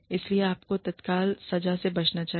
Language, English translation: Hindi, You must avoid, immediate punishment